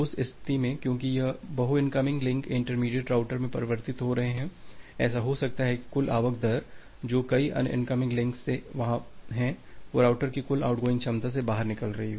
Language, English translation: Hindi, In that case because this multiple incoming link are getting converged in a intermediate router, it may happen that the total incoming rate which is being there from multiple others incoming links that is exiting the total out going capacity that the router has